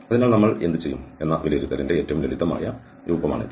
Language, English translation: Malayalam, So, this is the simplest form of the evaluation what we will do